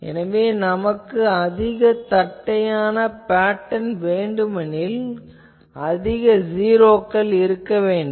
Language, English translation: Tamil, So, there if I want a maximally flat type of pattern, then we put more and more zeros